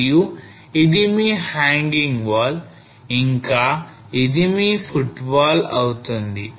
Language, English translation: Telugu, And this will be your hanging wall and this will be your footwall